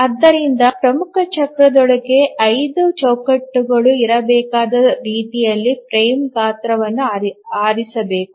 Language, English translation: Kannada, So the frame size must be chosen such that there must be five frames within the major cycle